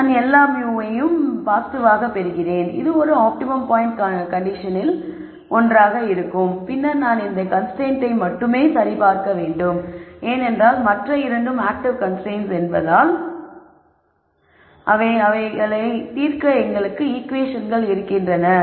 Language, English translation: Tamil, I get all mus to be positive which is also one of the conditions for an optimum point and then I have to only verify this constraint here because other 2 are active constraints and they are providing equations for us to solve so they are like they are going to be valid